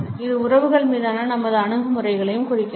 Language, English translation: Tamil, It also indicates our attitudes towards relationships